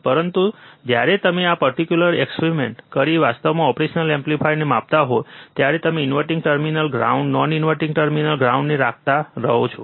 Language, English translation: Gujarati, But when you actually measure the operational amplifier by testing this particular experiment, that is you keep inverting terminal ground, non inverting terminal ground